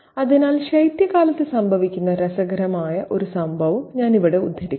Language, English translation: Malayalam, So, let me quote a very interesting event that happens during winter